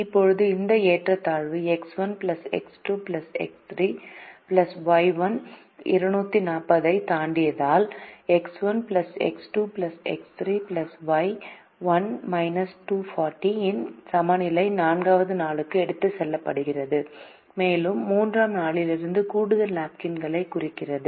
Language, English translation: Tamil, now this inequality, if x one plus x two plus x three plus y one exceeds two forty, then a balance of x one plus x two plus x three plus y one minus two forty is carried over to the fourth day and that represents the extra napkins from day three